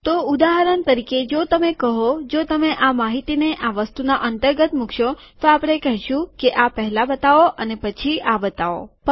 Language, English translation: Gujarati, So for example, if you say that, if you put this information within this item then we say that show this first and then show this